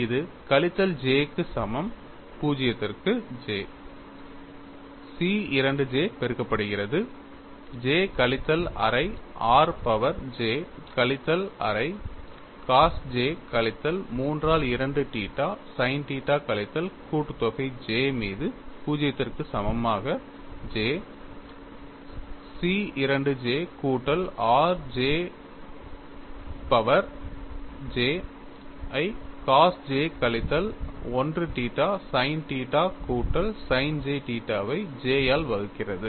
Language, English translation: Tamil, Now, we will go for what is shear stress tau xy, that is equal to minus j equal to 0 to j C 2 j multiplied by j minus half r power j minus half cos of j minus 3 by 2 theta sin theta minus summation over j equal to 0 to j C 2 j plus 1 j r power j multiplied by cos j minus 1 theta sin theta plus sin j theta divided by j